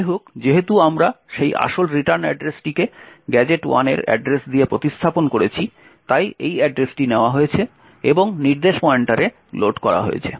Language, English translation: Bengali, However, since we have replaced that original return address with the address of gadget 1, this address is taken and loaded into the instruction pointer